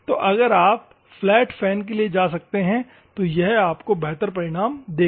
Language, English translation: Hindi, So, flat fan if you can go and it will give you better results